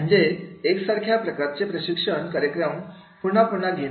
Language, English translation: Marathi, So, so same type of the training program again and again again